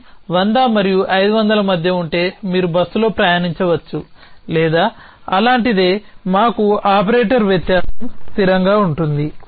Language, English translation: Telugu, If distance is less than between 100 and 500 you can take up bus or something like that we have a operator difference stable like